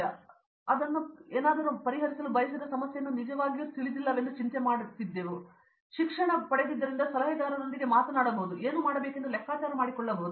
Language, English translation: Kannada, So, that was something when I got in and I was worried that I did not really know what problem I wanted to solve, but as we did the courses you can talk to your adviser and figure out what you want to do